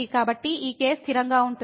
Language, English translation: Telugu, So, this is a constant